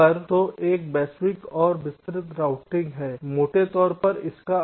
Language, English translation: Hindi, ok, so this is global and detail routing roughly what it means